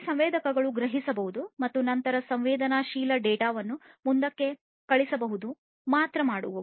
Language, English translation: Kannada, These sensors can only sense and then send the sensed data forward